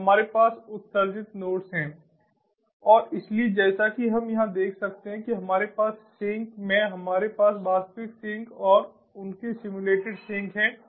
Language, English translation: Hindi, so what we have are the sensor nodes, we have the sink and we have the emulated nodes and so, as we can see over here, we have in the sink, we have the real sink and their simulated sink and this is the